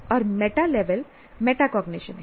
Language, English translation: Hindi, And meta level is the metacognition